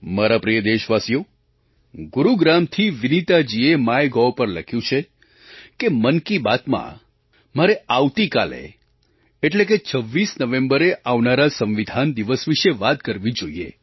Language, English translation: Gujarati, My dear countrymen, Vineeta ji from Gurugram has posted on MyGov that in Mann Ki Baat I should talk about the "Constitution Day" which falls on the26th November